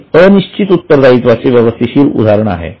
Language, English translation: Marathi, Now, this is a proper example of contingent liability